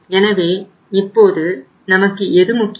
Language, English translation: Tamil, So now what is important for us